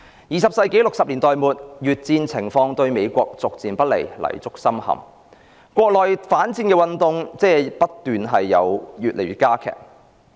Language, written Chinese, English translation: Cantonese, 二十世紀的1960年代末，越戰情況對美國逐漸不利，泥足深陷，國內反戰運動加劇。, At the end of 1960s in the twentieth century the United States was bogged down in the Vietnam War and anti - war movements within the country had intensified